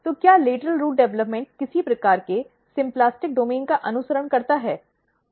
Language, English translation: Hindi, So, does lateral root development follow some kind of symplastic domain